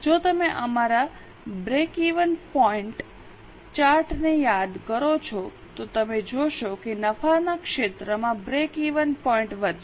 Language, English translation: Gujarati, If you remember our break even point chart, you will find that the profit area goes on increasing